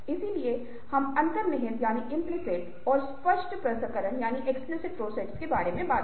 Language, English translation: Hindi, so we talked about implicit and explicit processing